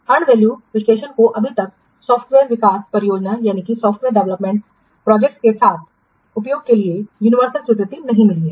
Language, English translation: Hindi, And value analysis has not yet yet get universal acceptance for use with software development projects